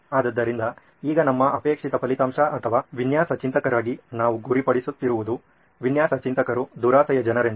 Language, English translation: Kannada, So, now our desired result or stuff that we are aiming for as design thinkers is we are greedy people design thinkers